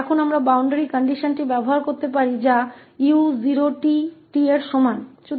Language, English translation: Hindi, Now we can use the boundary condition which is u 0 t is equal to t